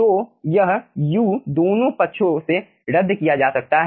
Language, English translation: Hindi, so this u can be cancelled from both the sides